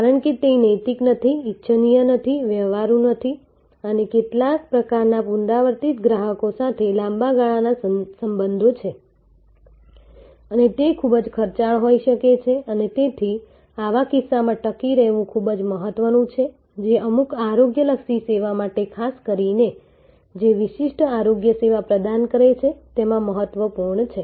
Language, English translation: Gujarati, Because, that is not neither ethical not desirable not practical and some types of repeat customers are long term relationships and may be quite costly and therefore, in such cases the walk in traffic will also be quite important, this is true again in certain health care cases, this is true in some very high value exclusive services